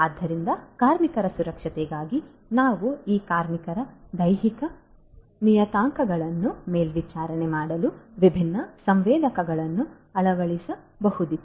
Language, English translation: Kannada, So, for the water safety we could have these workers fitted with different different sensors for monitoring their you know their physiological parameters